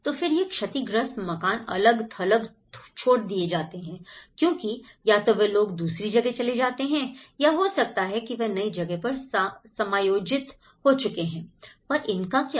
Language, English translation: Hindi, But then these are left isolated because they might have moved to other place or they might have been adjusted to in a new place but what happened to these